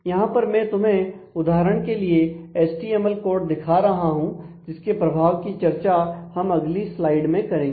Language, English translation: Hindi, So, the here is a sample HTML code let me show you the effect of this in the next slide